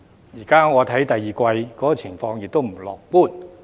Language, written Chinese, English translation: Cantonese, 現時我看到第二季的情況亦不樂觀。, At present as I see it the situation in the second quarter is not optimistic